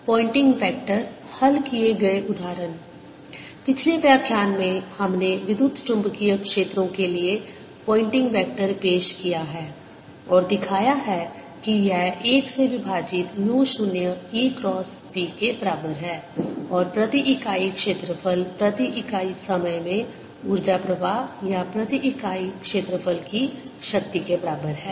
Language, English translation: Hindi, in the previous lecture we have introduced poynting vector for electromagnetic fields and shown that this is equal to one over mu, zero, e, cross b and is equal to the energy flow per unit area per unit time or power per unit area